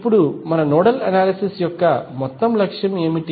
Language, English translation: Telugu, Now, what is the overall objective of our nodal analysis